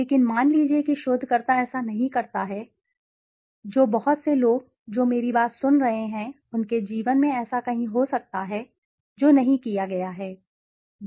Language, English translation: Hindi, But suppose the researcher does not, which many of people who are listening to me could be so have done this somewhere in their life which is not be done